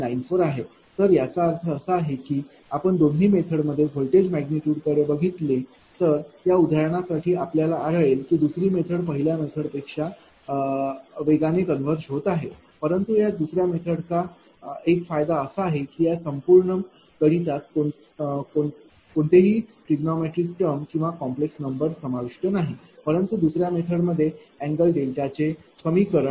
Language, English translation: Marathi, 94 so; that means, and if you look at the you just see yourself if you see the voltage magnitude of both the methods you will find for this example second method is converging faster than the first one, but one advantage of this second method is that, throughout this computation there is no trigonometric term or complex number is involved, but in the second method that expression of angle delta